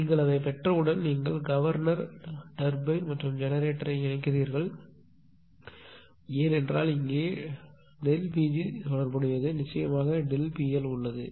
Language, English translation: Tamil, Once you get it; then you combine governor turbine and generator because here we have also related everything delta P g we have related to delta f of course, delta P L is there right